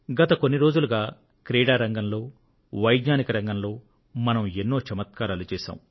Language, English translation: Telugu, Recently, India has had many achievements in sports, as well as science